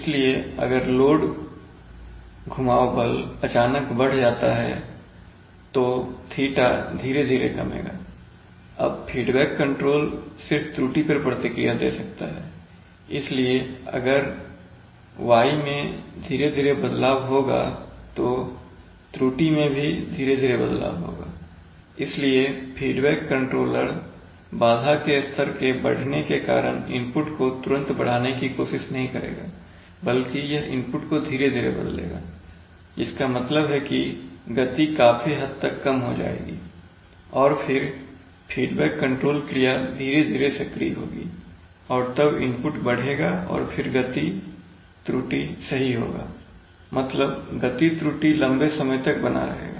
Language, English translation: Hindi, So it will, so the speed if the, if the load torque is suddenly increases then there will be a slow fall of theta, now the feedback controller can only respond to the error so if there is a slow change in y then the change in error will also be slow so the feedback controller will not immediately try to rise its input because our disturbance is, because the disturbance level has raised but it will change input slowly which means that the speed will fall to a good extent and then slowly the feedback control action will come into play and then the input will rise and then the speed error will be corrected, so far up, so the speed error will actually persist for a long amount of time, this is a fundamental drawback of feedback control and it is this drawback that feed forward tries to address, so we have the drawback of feedback control